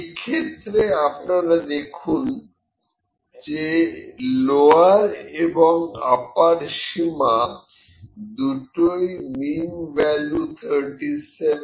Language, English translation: Bengali, In this case, you can see that both the lower and upper bound 35